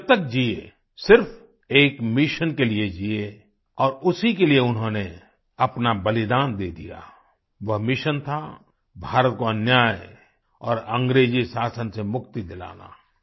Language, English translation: Hindi, He had a single mission for as long as he lived and he sacrificed his life for that mission That mission was to free India of injustice and the British rule